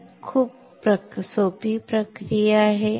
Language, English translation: Marathi, So, it is a lot of process